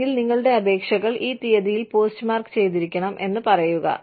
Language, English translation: Malayalam, Or, we say that, your applications must be postmarked, by this date